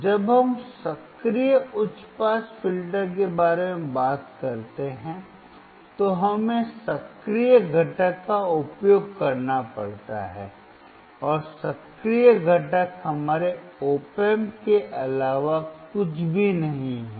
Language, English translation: Hindi, When we talk about active high pass filter, we have to use active component, and active component is nothing but our Op Amp